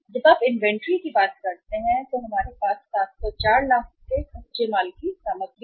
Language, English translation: Hindi, When you talk about the inventories we have inventory of raw material of 704 lakhs